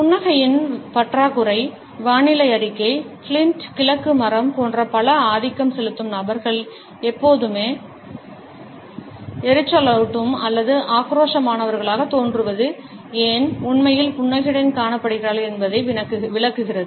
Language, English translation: Tamil, Lack of smiling explains why many dominant individuals such as weather reporting, Clint east wood always seem to the grumpy or aggressive and are really seen smiling